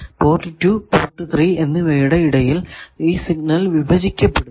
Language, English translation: Malayalam, That signal gets divided between port 2 and 3, their phase is also same